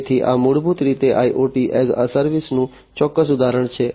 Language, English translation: Gujarati, So, this is basically a specific instance of IoT as a service